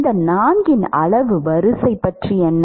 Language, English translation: Tamil, What about order of magnitude of these four